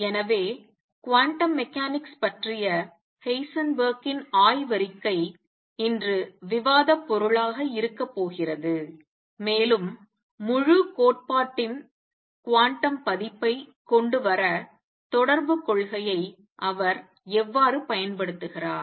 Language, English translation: Tamil, So, that is going to be the topic of discussion today Heisenberg’s paper on quantum mechanics, and how he use correspondence principle to come up with the quantum version of the whole theory